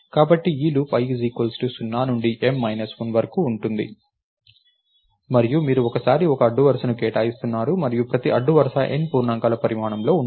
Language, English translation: Telugu, So, this loop goes from i equals 0 to M minus 1 and you are allocating one row at a time and each row is of size N integers